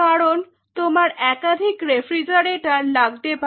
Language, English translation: Bengali, Because you will be needing multiple refrigerators